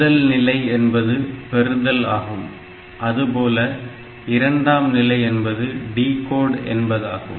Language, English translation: Tamil, The first stage is the fetch, second stage is that decode